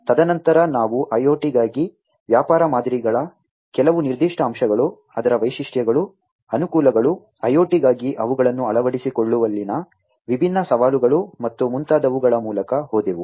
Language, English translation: Kannada, And then thereafter, we also went through some of the specific aspects of business models for IoT, the features of it, the advantages, the different challenges in adopting them for IoT and so on